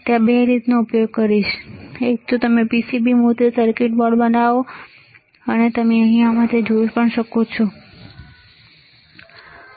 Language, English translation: Gujarati, So, there are two ways, one is you make a PCB printed circuit board, you can see here in this one, right